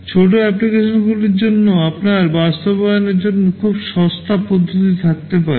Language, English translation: Bengali, For small applications, you can have much cheaper mode of implementation